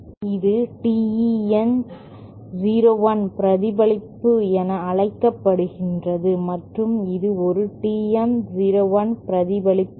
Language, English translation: Tamil, It can be shown that this is what is known as TE 01 reflector and this is a TM 01 reflector